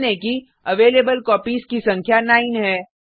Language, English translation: Hindi, Note that the number of Available Copies is 9